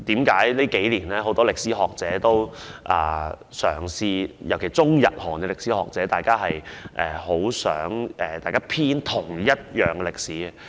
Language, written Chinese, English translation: Cantonese, 近年間，很多歷史學者——尤其是中、日、韓歷史學者——均十分希望共同編寫歷史。, In recent years many historians especially those from Chinese Japanese and Korean earnestly hope that they compile the history together